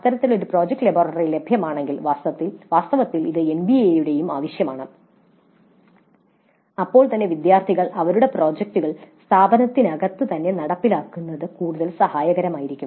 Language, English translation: Malayalam, If such a project laboratory is available as in fact is required by the NBA also, then the students would find it much more helpful to implement their projects in house